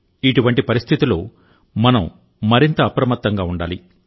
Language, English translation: Telugu, In such a scenario, we need to be even more alert and careful